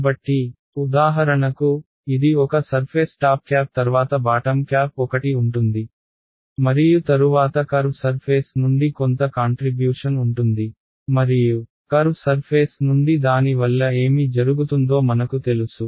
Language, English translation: Telugu, So, it so this for example, this is one surface the top cap then the bottom cap 1 right and then there is going to be some contribution from the curved surface and I know that contribution from the curved surface what will happen to it